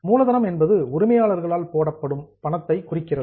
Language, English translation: Tamil, Capital refers to the money which is put in by the owners